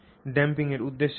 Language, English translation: Bengali, So, what is the purpose of damping